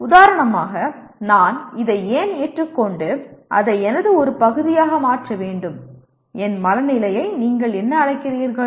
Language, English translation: Tamil, For example why should I accept this and make it part of my, what do you call my mindset